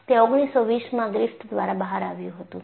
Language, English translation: Gujarati, That was a contribution by Griffith in 1920